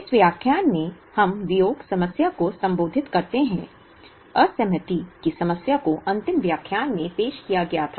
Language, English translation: Hindi, In this lecture, we address the Disaggregation problem; the disaggregation problem was introduced in the last lecture